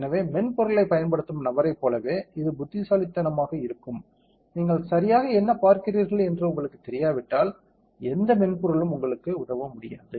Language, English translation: Tamil, So, it is only as intelligent as the person using the software, if you do not know exactly what you are looking at what no kind of software can help you